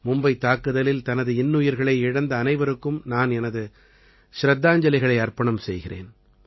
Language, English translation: Tamil, I pay homage to all of them who lost their lives in the Mumbai attack